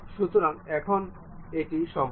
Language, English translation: Bengali, So, now, it is a complete one